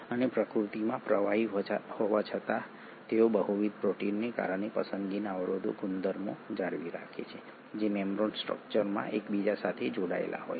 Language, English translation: Gujarati, And despite being fluidic in nature they maintain selective barrier properties because of multiple proteins which are present, interspersed in the membrane structure